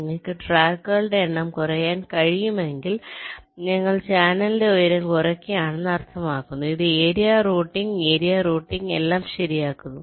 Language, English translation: Malayalam, and if you are able to reduce the number of tracks, it will mean that we are reducing the height of the channel, which implies minimizing the area, the routing area